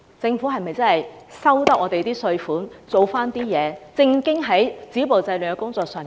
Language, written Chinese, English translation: Cantonese, 政府收取了市民的稅款，是否應該正經地做好止暴制亂的工作？, As the Government gets taxes from the people it should stop violence and curb disorder seriously shouldnt it?